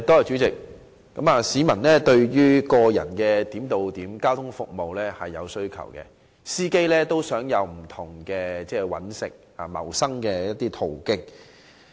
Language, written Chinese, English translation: Cantonese, 市民對於個人化點對點交通服務是有需求的，而司機也想開拓不同的謀生途徑。, There is a demand for personalized point - to - point transport service and drivers are eager to explore different means for making a living